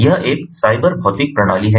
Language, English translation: Hindi, it is a cyber physical system